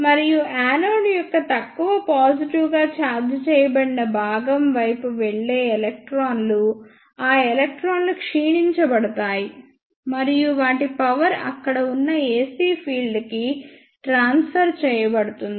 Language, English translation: Telugu, And the electrons which move towards the less positively charged part of the anode those electrons will be decelerated and their energy will be transferred to the ac field present there